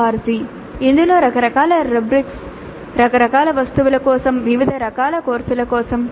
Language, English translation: Telugu, org which contains a varieties of rubrics for a variety of items for a variety of courses